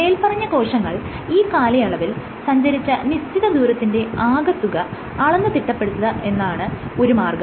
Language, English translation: Malayalam, So, one way is to track the net distance that these cells travel over that duration